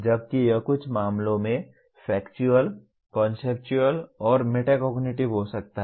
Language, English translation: Hindi, Whereas it can be Factual, Conceptual, and Metacognitive in some cases